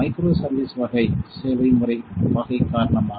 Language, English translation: Tamil, Because of the microservice type service mode type